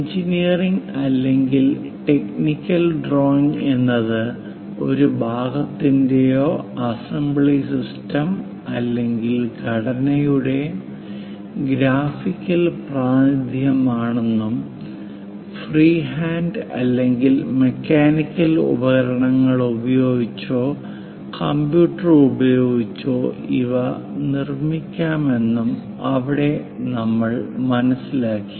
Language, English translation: Malayalam, There we have learnt an engineering or a technical drawing is a graphical representation of a part, assembly system or structure and it can be produced using freehand or mechanical tools or using computers